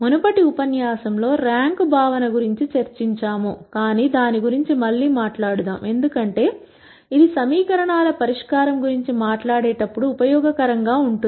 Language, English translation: Telugu, We had already discussed the concept of rank in the previous lecture, but let us talk about it again, because this is going to be useful, as we talk about solving equations